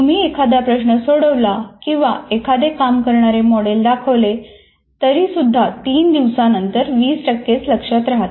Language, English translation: Marathi, That is if you have solved a problem or if you have shown something working, but still after three days, the retention is only 20%